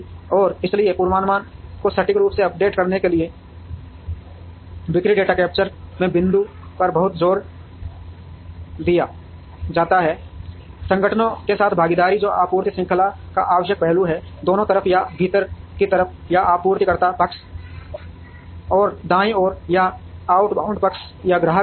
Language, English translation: Hindi, And therefore, there is a lot of emphasis on capturing point of sale data to accurately update the forecast, partner with organizations, which is essential aspect of supply chain, both on the left side or inbound side or the supplier side and the right side or the outbound side or the customer side